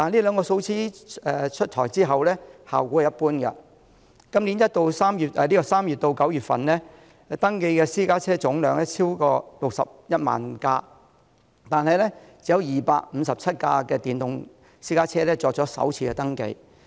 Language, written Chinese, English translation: Cantonese, 然而，這兩項措施出台後的效果一般，今年3月至9月，登記的私家車總量超過61萬輛，但只有257輛電動私家車作首次登記。, However the two measures have met with lukewarm responses . Among the over 610 000 private cars registered from March to September this year only 257 were electric private cars registered for the first time